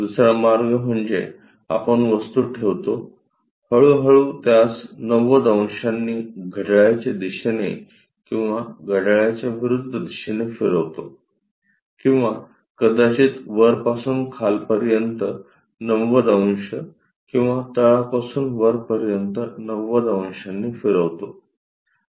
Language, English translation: Marathi, The other way is is more like you keep the object, slowly rotate it by 90 degrees either clockwise, anti clockwise kind of directions or perhaps from top to bottom 90 degrees or bottom to top 90 degrees